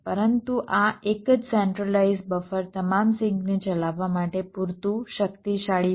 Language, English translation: Gujarati, but this single centralized buffer is powerful enough to drive all the sinks